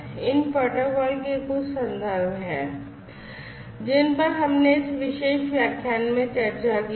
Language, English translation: Hindi, So, these are some of these references for these protocols that we have discussed in this particular lecture